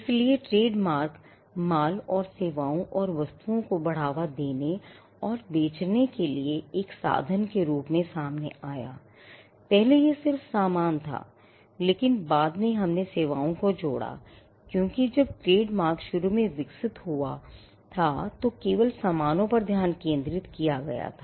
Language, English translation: Hindi, So, trademarks came up as a means to promote and sell goods and services and goods and services earlier it was just goods, but later on we added services because, when trademarks evolved initially the focus was only on goods